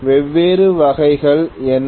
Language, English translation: Tamil, What are all the different types